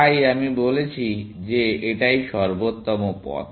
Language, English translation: Bengali, So, I am saying that this is